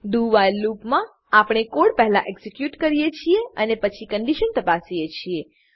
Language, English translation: Gujarati, In the do...while loop, we are first executing the code and then checking the condition